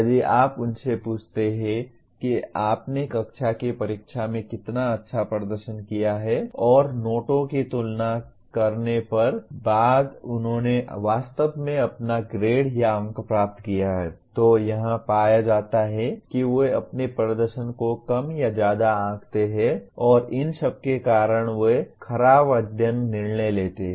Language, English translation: Hindi, If you ask them how well you have performed in the class test and compare notes after they have actually obtained their grade or marks it is found that they either underestimate or overestimate their performance and because of all these they make poor study decisions